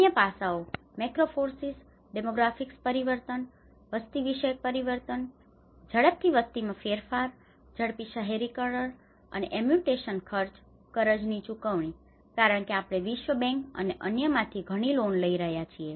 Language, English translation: Gujarati, The other aspects are the macro forces, the demographic change you know the rapid population change, rapid urbanisations and the amputation expenditure, the debt repayment because we have been taking lot of loans from world bank and other things